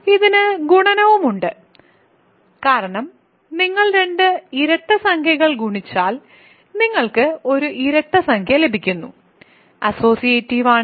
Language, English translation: Malayalam, It also has multiplication because if you multiply 2 even integers you get an even integer, you can it is associative multiplication of integers is a associative